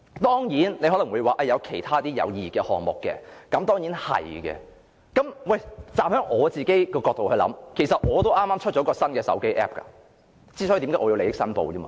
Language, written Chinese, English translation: Cantonese, 當然，你可能會說也有其他有意義的項目，的確如此，我其實也剛推出一個新的手機 App， 所以我要作利益申報。, Of course you may say that there are other projects which are meaningful and indeed there are; in fact I have just launched a new smartphone app therefore I need to make a declaration of interest